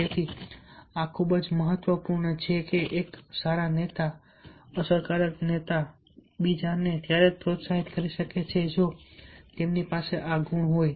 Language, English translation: Gujarati, a good leader, effective leader, can motivate others only if he or she is having this quality